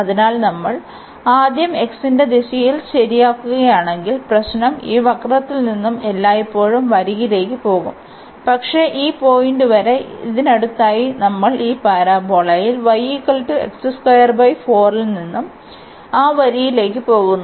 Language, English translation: Malayalam, But, if you first fix in the direction of x; so, if we first fix in the direction of x, then the problem will be that going from this curve to the line always, but up to this point; next to this we will be going from this parabola y is equal to x square by 4 to that line